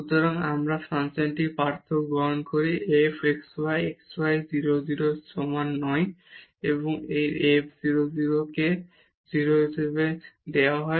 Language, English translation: Bengali, So, we take the difference of the function f xy xy not equal to 0 0 and minus this f 0 0 which is given as 0